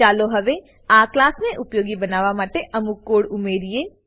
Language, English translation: Gujarati, Now let us add some code that will make use of this class